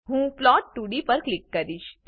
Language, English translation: Gujarati, I will click on plot2d